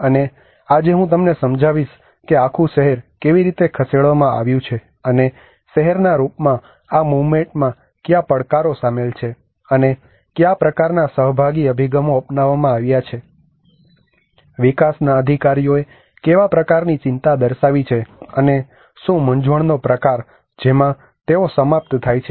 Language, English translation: Gujarati, And today I will explain you that how the whole city has been moved and what are the challenges involved in this moving as town, and what kind of participatory approaches has been adopted, what kind of concerns it has the development authorities have shown, and what kind of confusions they have ended up with